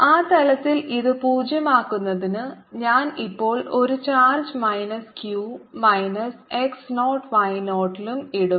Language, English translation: Malayalam, to make it zero on that plane i'll now put a charge minus q at minus x naught and y zero